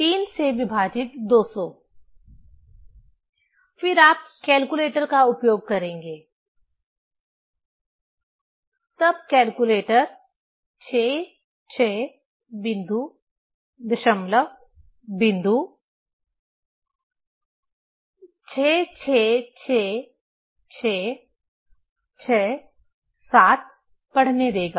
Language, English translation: Hindi, 200 divided by 3; then you will use calculator, then calculator will give reading 66 point, decimal point 66666667